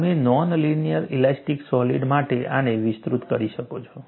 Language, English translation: Gujarati, You could extend this for non linear elastic solid